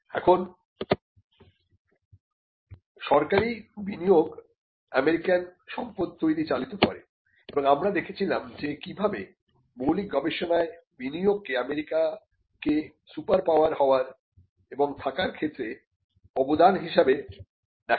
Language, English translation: Bengali, Now, the government investment powered wealth creation in the US and we had seen that how investment in basic research was seen as something that contributes to the US becoming an staying a superpower